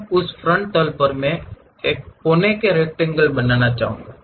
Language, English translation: Hindi, Now, on that frontal plane, I would like to draw a corner rectangle